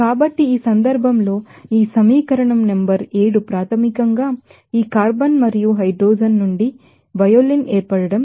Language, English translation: Telugu, So, in this case, this equation number seven is basically the formation of violin from this carbon and hydrogen